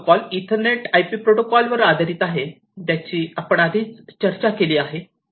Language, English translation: Marathi, It is based upon the Ethernet IP protocol, which we have discussed before